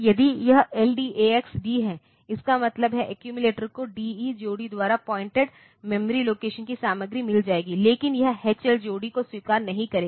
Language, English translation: Hindi, If it is LDAX D; that means, the accumulator will get the content of memory location pointed to by the D E pair, but it will not accept H L pair